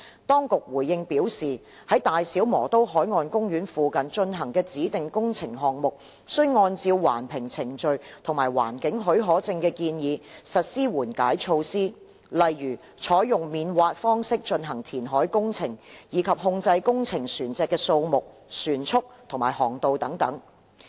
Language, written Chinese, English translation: Cantonese, 當局回應表示，在大小磨刀海岸公園附近進行的指定工程項目，須按照環評程序及環境許可證的建議，實施緩解措施，例如採用免挖方式進行填海工程，以及控制工程船隻的數目、船速及航道等。, The response of the Administration is that any designated projects near BMP will be required to follow the Environmental Impact Assessment process and carry out the mitigation measures proposed in the environmental permit . The mitigation measures include among others the adoption of non - dredge reclamation method and control on the number speed and fairway of construction vessels